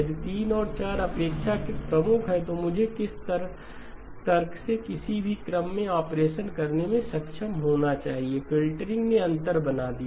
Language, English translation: Hindi, If 3 and 4 are relatively prime by which argument I should have been able to do the operation in any sequence, the filtering made the difference